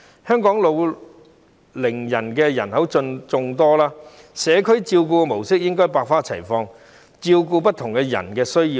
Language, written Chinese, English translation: Cantonese, 香港老齡人口眾多，社區照顧模式應該百花齊放，以照顧不同人士的需要。, Given that Hong Kong has a swelling elderly population there should be diversified modes of community care to cope with the needs of different people